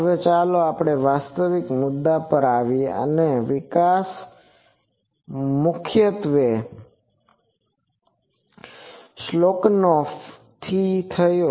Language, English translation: Gujarati, Now, let us come to actual point and that the development came mainly from Schelkunoff